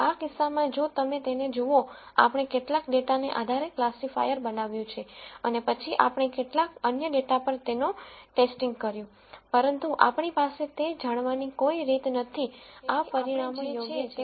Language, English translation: Gujarati, In this case if you look at it, we built a classifier based on some data and then we tested it on some other data, but we have no way of knowing whether these results are right or wrong